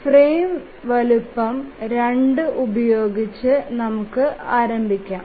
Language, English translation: Malayalam, Let's start with the frame size 2